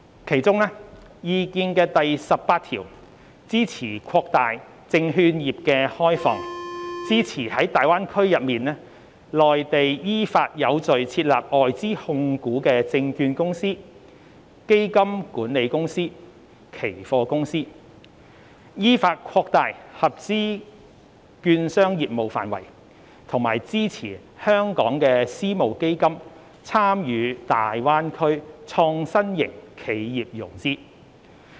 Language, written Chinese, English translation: Cantonese, 其中，《意見》第十八條支持擴大證券業開放，支持在大灣區內地依法有序地設立外資控股的證券公司、基金管理公司、期貨公司；依法擴大合資券商業務範圍；以及支持香港私募基金參與大灣區創新型企業融資。, Among others item 18 of the Opinion supports the opening up of the securities sector; the setting up of foreign - owned securities companies fund management companies and futures companies orderly in the Greater Bay Area in accordance with the law; the expansion of business scope of eligible securities firms in accordance with the law; and the participation of Hong Kongs private equity funds in financing innovation enterprises in the Greater Bay Area